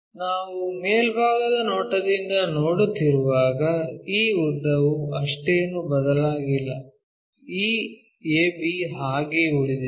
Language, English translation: Kannada, When we are looking from top view this length hardly changed, this AB remains same